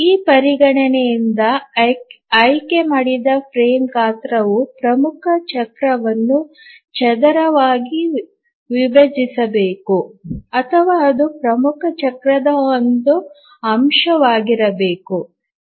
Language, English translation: Kannada, From this consideration we require that the frame size that is chosen should squarely divide the major cycle or it must be a factor of the major cycle